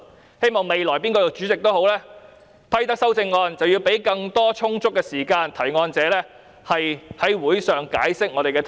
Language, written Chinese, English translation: Cantonese, 我希望未來無論哪位擔任主席，既然批准修正案，便應提供充足時間予提出修正案者在會上解釋修正案。, I hope that whoever serves as the President in the future should allow amendment proposers sufficient time to explain their amendments in the meeting as long as he has ruled such amendments admissible